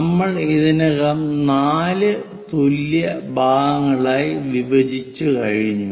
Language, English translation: Malayalam, Now divide the circle into 8 equal parts 4 parts are done